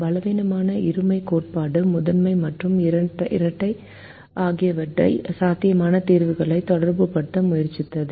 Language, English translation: Tamil, the weak duality theorem tried to relate feasible solutions to the primal and the dual